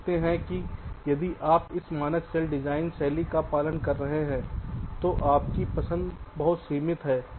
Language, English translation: Hindi, you see, if you are following this standard cell design style, then your choice is very limited